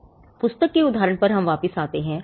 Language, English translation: Hindi, So, let us come back to the book analogy